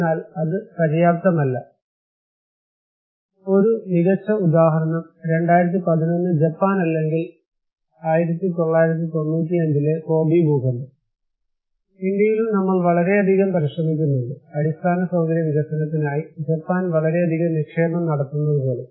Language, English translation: Malayalam, But that is not enough; the one great example is 2011 Japan or 1995 Kobe earthquake, also in India, we have giving so much effort, like a country which is so prepare like Japan investing so much on infrastructure development